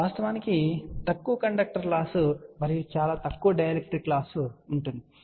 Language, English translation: Telugu, And of course, there will be small conductor loss and very small dielectric loss